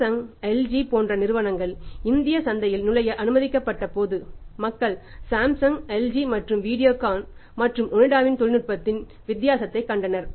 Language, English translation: Tamil, But when we had when be allowed Samsung, LG to enter the Indian market so then people saw the difference in the technology, technology of Samsung and LG and technology of the Videocon and Onida